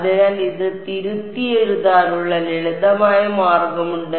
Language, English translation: Malayalam, So, there is the simple way to rewrite this